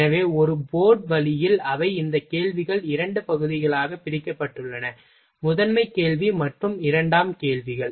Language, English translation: Tamil, So, in a board way they are these questions are divided in a two part: primary question, and secondary questions